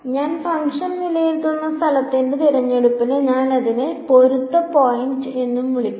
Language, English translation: Malayalam, The choice of the place where I evaluate the function I also call it a matching point